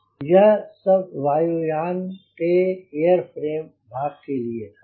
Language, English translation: Hindi, so now this was about the aircraft airframe part